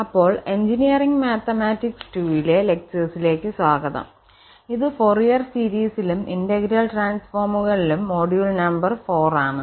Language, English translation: Malayalam, So, welcome back to lectures on Engineering Mathematics 2, so this is module number 4 on Fourier series and Integral transforms